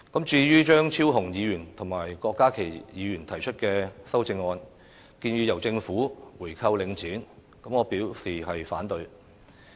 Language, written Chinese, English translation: Cantonese, 至於張超雄議員和郭家麒議員提出的修正案，建議由政府購回領展，我表示反對。, As for the amendments put forward by Dr Fernando CHEUNG and Dr KWOK Ka - ki proposing that the Government should buy back Link REIT I am opposed to them